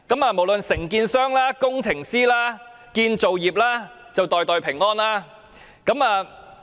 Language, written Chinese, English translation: Cantonese, 無論承建商、工程師、建造業便會"袋袋平安"。, Contractors engineers and the construction industry will then pocket money